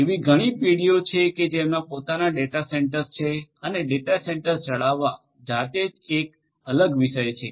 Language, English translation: Gujarati, There are many other companies which also have their own data centres and maintaining the data centres is a different topic by itself right